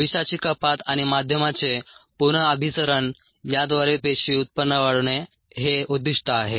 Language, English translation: Marathi, the aim is to enhance cell yields through toxin reduction and medium re circulation